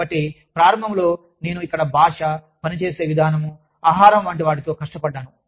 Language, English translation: Telugu, So, initially, i struggled with the language, the way of working, the food, here